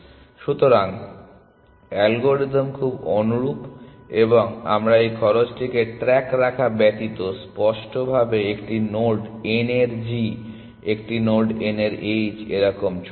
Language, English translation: Bengali, So, the algorithm is very similar, except that we keep track of this cost explicitly g of a node n, h of a node n, so on